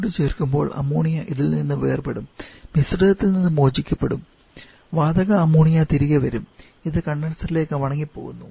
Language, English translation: Malayalam, And as heat is being added then ammonia will get separated from this will get liberated from the mixture and the gaseous Ammonia will be will come back and that is going to go back to the condenser for this